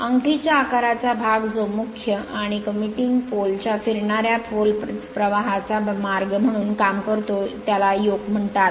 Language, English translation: Marathi, The ring shaped portion which serves as the path of the main and the commutating pole your commutating pole fluxes is called the yoke right